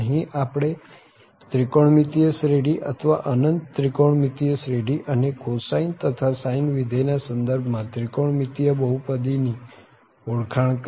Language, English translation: Gujarati, So, here we are we have now introduce in this trigonometric series or infinite trigonometric series and the trigonometric polynomial in terms of the cosine and sine functions